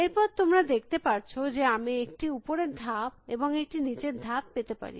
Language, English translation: Bengali, And then you can see that, I can have an up move and I can also have a down move